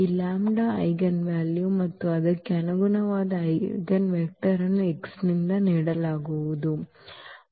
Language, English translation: Kannada, This lambda is the eigenvalue and the corresponding eigenvector will be given by x